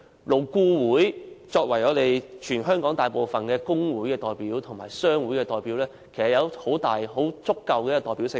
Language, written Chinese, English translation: Cantonese, 勞顧會作為全香港大部分工會及商會的代表，具有足夠的代表性。, Serving as the representative of most staff unions and trade associations in Hong Kong LAB carries sufficient representation